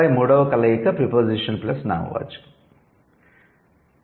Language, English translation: Telugu, And then the third combination is preposition plus noun